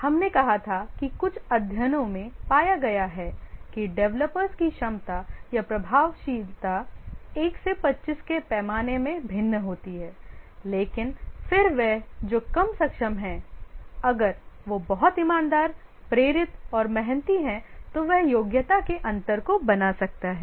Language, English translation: Hindi, We had said that some studies found that the competency or the effectiveness of the developers varies from a scale of 1 to 25 but then the one who is less competent if he is very sincere motivated and hard worker he can make up for the gap in the competency